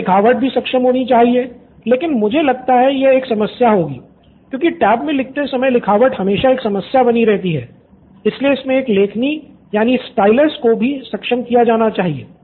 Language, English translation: Hindi, Then handwriting should be enabled but I think that will be a problem, it is always a problem while writing in tab, so a stylus should be enabled